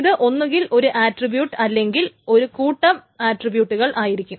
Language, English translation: Malayalam, So this can be either one attribute or set of related attributes